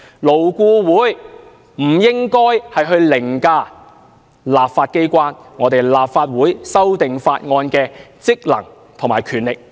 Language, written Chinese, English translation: Cantonese, 勞顧會不應該凌駕立法機關，凌駕立法會修訂法案的職能和權力。, LAB should not override the legislature and overtake its function and power of amending bills